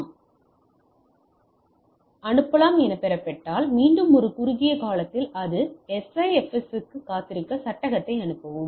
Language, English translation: Tamil, If it is received yes, then wait for again for a short time period or SIFS and then send the frame